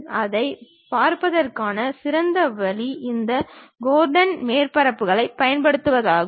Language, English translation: Tamil, Then the best way of looking at that is using these Gordon surfaces